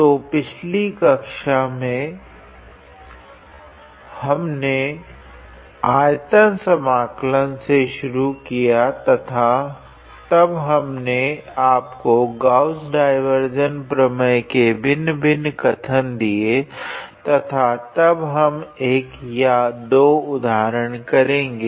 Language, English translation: Hindi, So, in the previous class, we started with volume integral and then we gave I gave you the different the statement of Gauss divergence theorem and then we practiced one or two examples